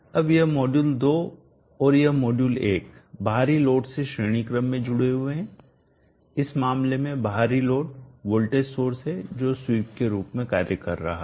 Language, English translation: Hindi, Now this module 2 and this module one are connected in series to the external load in this case external load is the voltage source which is acting as a sweep